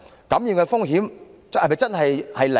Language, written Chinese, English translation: Cantonese, 感染風險是否真的是零？, Can this really achieve a zero risk of infection?